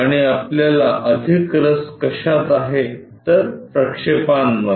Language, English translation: Marathi, And, what we are more interested is is projections